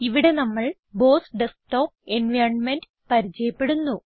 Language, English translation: Malayalam, In this tutorial, we will get familiar with the BOSS Desktop environment